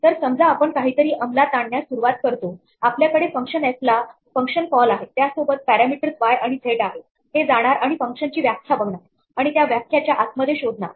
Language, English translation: Marathi, So, suppose we start executing something and we have a function call to a function f, with parameters y and z this will go and look up a definition for the function and inside the definition perhaps